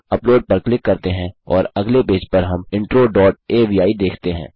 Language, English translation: Hindi, Lets click upload and on the next page we see intro dot avi